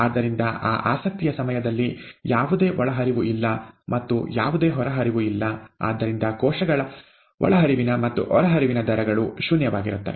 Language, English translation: Kannada, Therefore during that time of interest, there is no, there are no inputs, there are no outputs, and therefore the rates of input and output of cells is zero